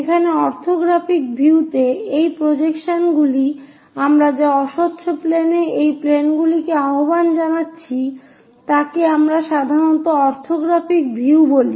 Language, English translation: Bengali, So, this projections what we are calling on to the planes onto these opaque planes, what we call generally orthographic views